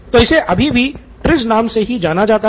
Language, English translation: Hindi, And it’s now popularly known as TRIZ, T R I Z